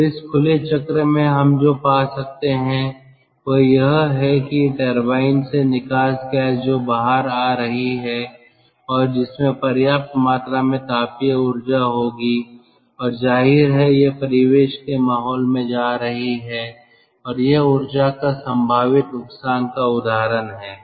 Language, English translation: Hindi, that from the turbine, the ah ex exhaust gas that is coming out and that will have enough amount of thermal energy, that will have enough amount of thermal energy and obviously it is going to the ambient atmosphere and it is a potential loss of energy